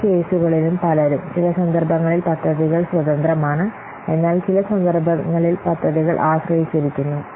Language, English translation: Malayalam, Many cases, in some cases, the projects are independent, but in some cases the projects are dependent